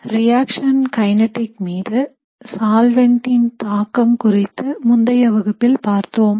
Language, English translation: Tamil, In the last class we were looking at solvent effects on reaction kinetics